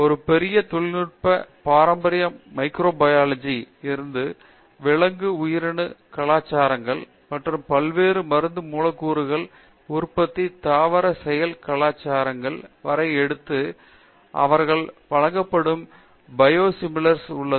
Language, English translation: Tamil, So, a big technology has taken over from traditional microbial biotechnology to animal cell cultures and plant cell cultures for production of various drug molecules, so called as the reason term they give it is Biosimilars